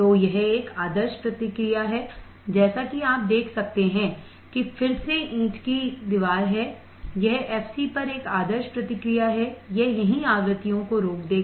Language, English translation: Hindi, So, this is an ideal response as you can see there is again of brick wall, it is a ideal response exactly at f c, it will stop the frequencies right here